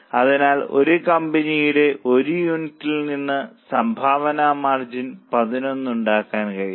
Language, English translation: Malayalam, So from one unit of A, company is able to make contribution margin of 11